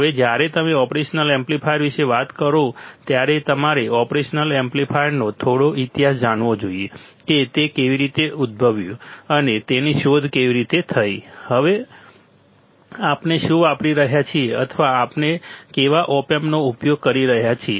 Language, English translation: Gujarati, Now, when you talk about operation amplifier you should know little bit history of operational amplifier how it was emerged, and how it was invented and now what we are using or what kind of op amps we are using all right